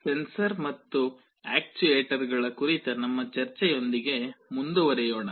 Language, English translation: Kannada, We continue with our discussion on Sensors and Actuators